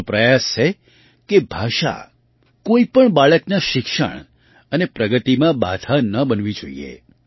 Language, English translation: Gujarati, It is our endeavour that language should not become a hindrance in the education and progress of any child